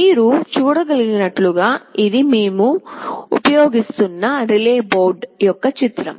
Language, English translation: Telugu, As you can see this is a picture of the relay board that we shall be using